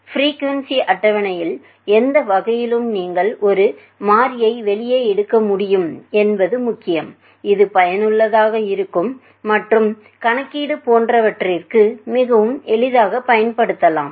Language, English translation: Tamil, Any kind of the frequency table it is important that you should be able to pull out a variable, which can be useful and which can be very easily a used for the calculation etcetera